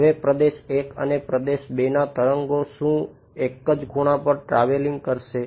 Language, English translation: Gujarati, Now, region I and region II will the waves be travelling at the same angle